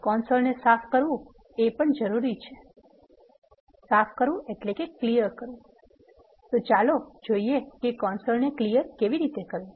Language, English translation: Gujarati, And it is needed to clear the console let us now look at how to clear the console